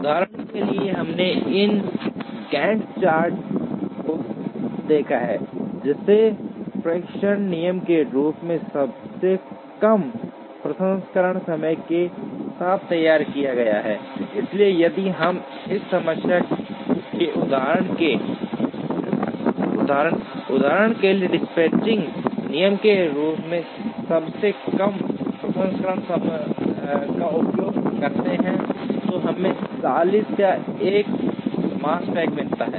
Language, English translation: Hindi, For example, we have seen this Gantt chart, which has been prepared with shortest processing time as the dispatching rule, so if we use shortest processing time as the dispatching rule for this problem instance, we get a Makespan of 40